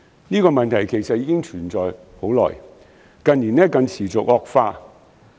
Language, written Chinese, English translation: Cantonese, 這個問題其實存在已久，近年更持續惡化。, While this shortage has long existed it has been exacerbated in recent years